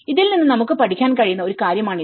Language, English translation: Malayalam, So, this is one thing we can learn from this